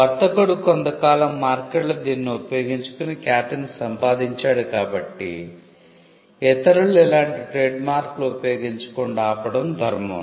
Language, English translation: Telugu, The fact that the trader used it in the market over a period of time and gained reputation was enough to stop others from using similar marks